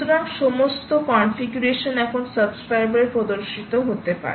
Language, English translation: Bengali, alright, so all the configurations can be now shown on the subscriber